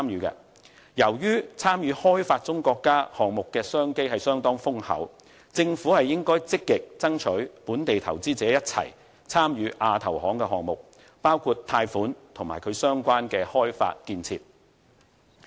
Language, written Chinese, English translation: Cantonese, 由於參與發展中國家項目的商機相當豐厚，政府應該積極爭取與本地投資者一起參與亞投行項目，包括貸款及其相關的開發建設。, As many business opportunities will arise from participation in developing country projects the Government should actively joins hands with local investors to strive for participation in AIIB projects including the provision of loans and various projects of development and construction